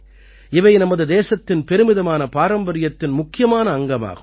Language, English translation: Tamil, It is an important part of the glorious heritage of our country